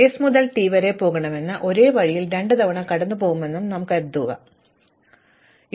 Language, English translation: Malayalam, So, supposing I want to go from s to t and suppose along the way I actually go through the same vertex twice and then I continue